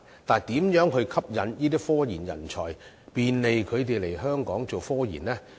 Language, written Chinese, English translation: Cantonese, 但是，如何吸引這些科研人才，便利他們來香港做科研呢？, But how can we attract these talents and make it convenient for them to come to Hong Kong to engage in scientific research work?